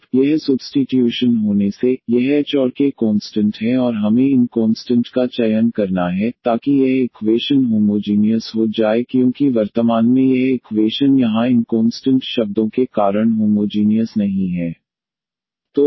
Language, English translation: Hindi, Now, by having this substitutions now, this h and k are the constants and we have to choose these constants such that this equation become homogeneous because at present this equation is not homogeneous because of these constant terms here